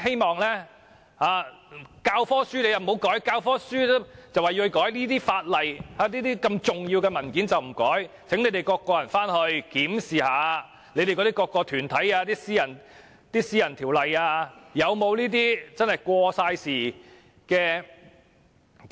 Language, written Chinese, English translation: Cantonese, 當局說教科書要修改，但這些法例及重要的文件卻不修改，請回去檢視各團體以私人法案形式訂立的條例，是否有這些過時的條文？, The authorities say that they have to amend the textbooks but they have failed to amend various pieces of legislation and important documents . I would like to ask Members to review various Ordinances which have been introduced by various groups in the form of private bills and check whether there are any outdated provisions